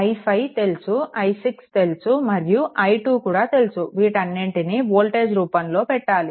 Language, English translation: Telugu, I 5 we know i 6 we know and i 2 also we know put everything in terms of v right